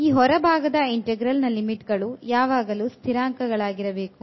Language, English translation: Kannada, So, for the outer integral now the limits must be constant